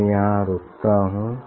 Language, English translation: Hindi, I will stop here